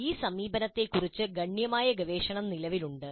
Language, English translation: Malayalam, Considerable body of research exists regarding these approaches